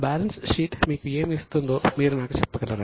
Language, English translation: Telugu, So, can you tell me what does the balance sheet give you